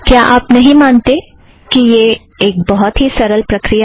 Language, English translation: Hindi, Wouldnt you agree that this is an extremely simple procedure